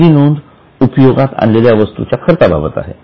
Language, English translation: Marathi, So, the first item is cost of material consumed